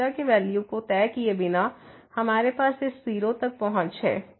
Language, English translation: Hindi, So, without fixing the value of the theta, we have approach to this 0